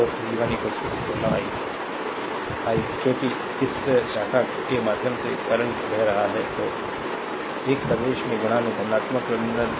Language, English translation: Hindi, So, v 1 is equal to 16 i, 1 because is current flowing through this branch , then is a entering into the positive terminal